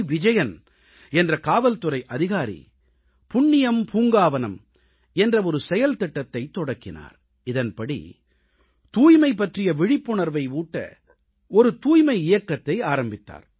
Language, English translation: Tamil, Vijayan initiated a programme Punyam Poonkavanam and commenced a voluntary campaign of creating awareness on cleanliness